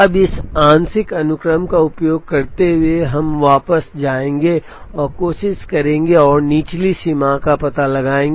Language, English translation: Hindi, Now, using this partial sequence, we will now go back and try and find out the lower bound